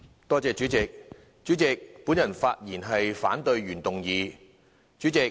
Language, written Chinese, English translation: Cantonese, 代理主席，我發言反對原議案。, Deputy President I speak to oppose the original motion